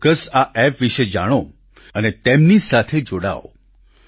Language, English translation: Gujarati, Do familiarise yourselves with these Apps and connect with them